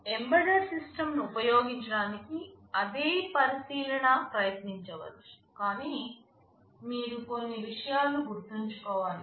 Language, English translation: Telugu, The same consideration you can try to use for an embedded system, but there are a few things you need to remember